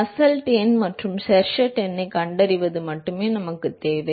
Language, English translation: Tamil, All we want is we want is find the Nusselt number and Sherwood number